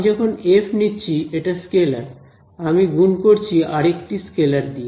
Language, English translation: Bengali, So, when I took f over here it is a scalar I am multiplying it by a scalar right